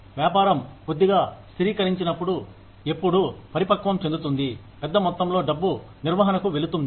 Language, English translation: Telugu, When the business stabilizes a little bit, when it becomes mature, a larger amount of money, will go into maintenance